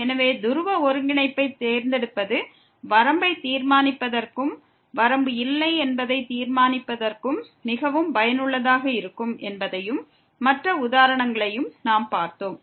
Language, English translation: Tamil, So, we have seen other examples also that this choosing to polar coordinate is very useful for determining the limit as well as for determining that the limit does not exist